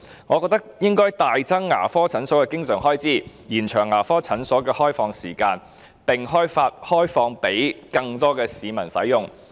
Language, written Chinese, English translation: Cantonese, 我認為應該大幅增加牙科診所的經常開支，延長牙科診所的開放時間，並開放予更多市民使用。, I think we should substantially increase the recurrent expenditure for dental clinics extend their opening hours and open them up for use by more members of the public